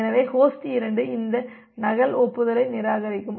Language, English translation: Tamil, So, host 2 will reject this duplicate acknowledgement